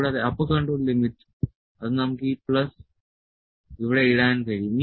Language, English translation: Malayalam, And the upper control limit that we will we can have we can just put this plus here